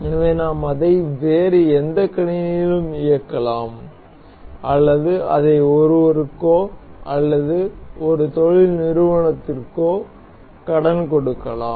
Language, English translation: Tamil, So, that we can play it on any other computer or we can lend it to someone, so some industry or anything